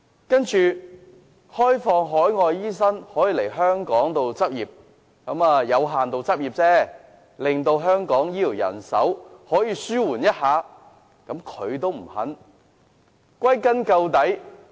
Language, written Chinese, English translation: Cantonese, 對於讓海外醫生來港執業——只是有限度執業——以紓緩香港的醫療人手不足，他也不願意。, He even opposed the proposal of allowing non - local doctors to practise in Hong Kong―under Limited Registration only―as a means of alleviating the shortage of health care manpower in Hong Kong